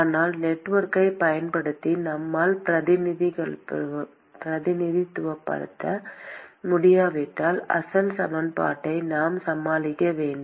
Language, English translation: Tamil, But if we cannot represent using network then we have to deal with the original equation itself